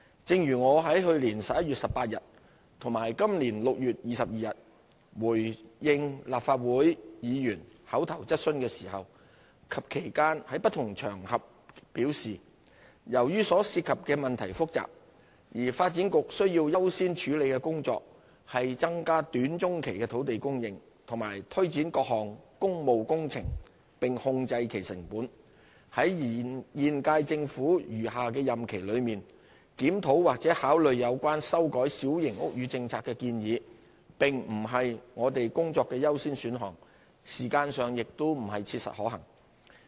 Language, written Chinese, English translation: Cantonese, 正如我在去年11月18日和本年6月22日回應立法會議員口頭質詢時及其間在不同場合表示，由於所涉及的問題複雜，而發展局需要優先處理的工作，是增加短、中期的土地供應和推展各項工務工程並控制其成本，在現屆政府餘下的任期內，檢討或考慮有關修改小型屋宇政策的建議並不是我們工作的優先選項，時間上亦不切實可行。, As I mentioned when I responded to Legislative Council Members oral questions on 18 November 2015 and 22 June 2016 and on various occasions in the meantime given the complicated issues involved and the fact that the work priorities of the Development Bureau are to increase land supply in the short to medium term and to implement and control costs of various public works projects the review or consideration of suggestions to amend the Policy would not be a priority task in the remainder of the current term of the Government . It is neither realistic nor practicable as far as time is concerned